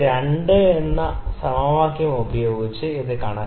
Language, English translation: Malayalam, We can calculate alpha using the equation number 2